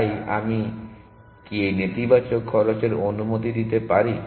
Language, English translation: Bengali, So, can I allow negative cost